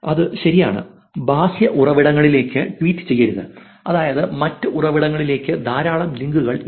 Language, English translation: Malayalam, That is is right, do not tweet to external sources which is, there is not a lot of links to other sources